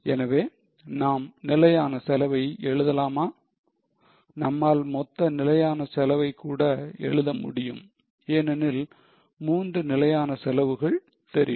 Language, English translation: Tamil, We can even write the total fixed costs because we know the three fixed costs